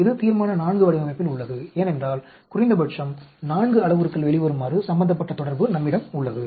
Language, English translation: Tamil, This is of Resolution IV design because we have relationship involving minimum comes out to be 4 parameters